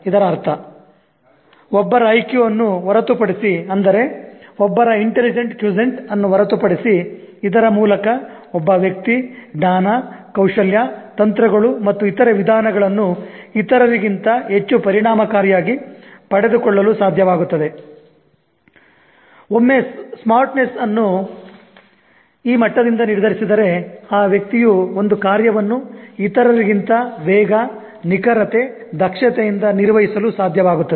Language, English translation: Kannada, This means apart from one's IQ, that is apart from one's intelligent quotient by which one is able to acquire knowledge, skills, techniques and other methodologies, much more efficiently than others, one's smartness is determined by this level in which one is able to execute a task with speed, accuracy, efficiency, much more than the other person